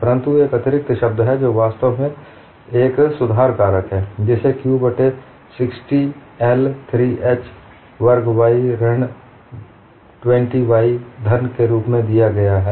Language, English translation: Hindi, But there is an additional term, which is actually a correction factor, which is given as q by 60I, 3h squared y minus 20y cube